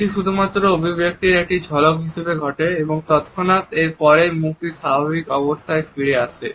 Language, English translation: Bengali, It occurs only as a brief flash of an expression and immediately afterwards the face returns to its normal state